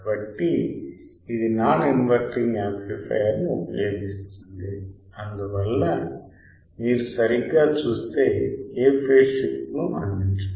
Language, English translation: Telugu, So, it uses a non inverting amplifier hence does not provide any phase shift you see right